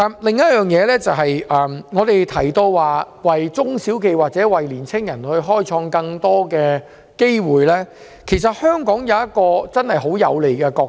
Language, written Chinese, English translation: Cantonese, 另外，我們提到為中小企或青年人創造更多機會，其實香港有一個很有利的角色。, In respect of creating more opportunities for SMEs or young people Hong Kong is actually in an advantageous position